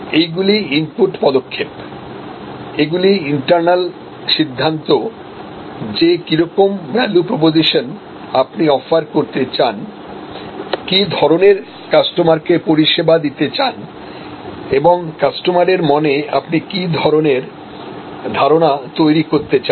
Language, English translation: Bengali, So, these are input steps, these are internal decisions that what value proposition you want to offer, what customers we want to serve, what position in the customer's mind we want to create